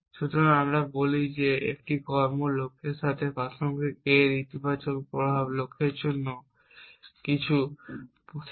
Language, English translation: Bengali, So, we say that an action A is relevant to A goal if the positive effects of the a has something for the goal